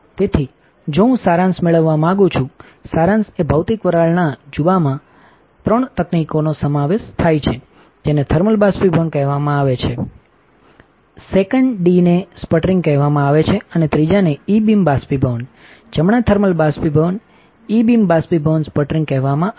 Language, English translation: Gujarati, So, if I want to have a summary, summary is physical vapor deposition consists of three techniques one is called thermal evaporation, second is called sputtering and third one is called E beam evaporation right thermal evaporation, E beam evaporation, sputtering